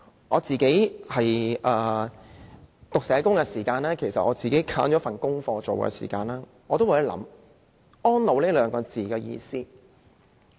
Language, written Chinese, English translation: Cantonese, 我讀社工課程的時候，選了一份功課，讓我有機會思考"安老"這一詞的意思。, When I was studying a social work course I selected an assignment which gave me a chance to contemplate the meaning of provision of elderly services